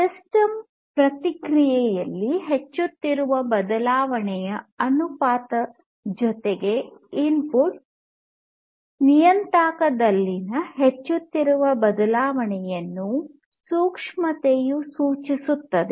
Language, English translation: Kannada, Sensitivity, sensitivity indicates the ratio of incremental change in the response of the system with respect to the incremental change in the input parameter, right